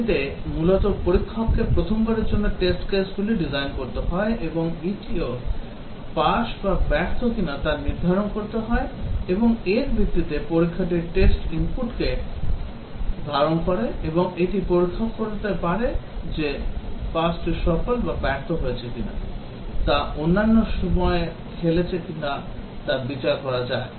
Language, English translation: Bengali, It basically, the tester has to first time design the test cases and also decide whether it is a pass or fail and based on that the test will captures the test input and also can judge whether another time it is played whether it is pass or fail